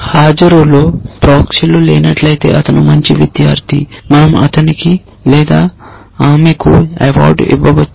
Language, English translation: Telugu, And if there are no proxies in the attendance then he is a good student we can give him an award or her an award